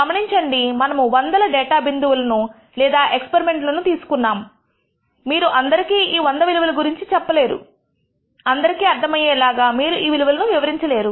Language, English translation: Telugu, Notice that we have taken hundreds of data points or experiments, you cannot go and tell somebody all the hundred values, you cannot reel off all these values that will not be possible for somebody to digest